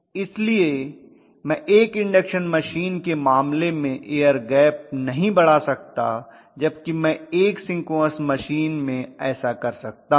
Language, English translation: Hindi, So I cannot increase the air gap the case of an induction machine whereas I can do that in a synchronous machine, right